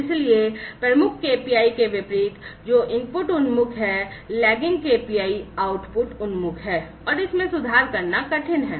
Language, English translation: Hindi, So, unlike the leading KPI, which is input oriented, the lagging KPI is out output oriented, and this is hard to improve, right